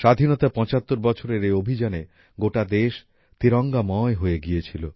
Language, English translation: Bengali, In this campaign of 75 years of independence, the whole country assumed the hues of the tricolor